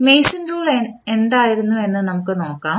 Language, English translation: Malayalam, So, let us see what was the Mason’s rule